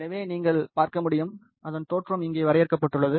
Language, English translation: Tamil, So, you can see, its origin has been defined over here